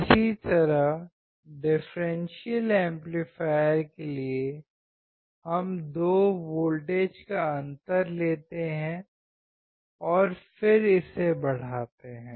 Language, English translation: Hindi, Similarly, for differential amplifier, we take the difference of the two voltages and then amplify it